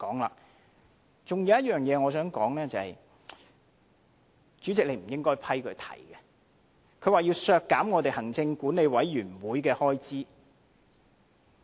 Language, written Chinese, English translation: Cantonese, 還有一點我想談的是，主席你不應批准他提出要削減立法會行政管理委員會的開支。, Another thing I wish to speak on Chairman is that you should not permit him to propose the amendment to cut the expenditure of the Legislative Council Commission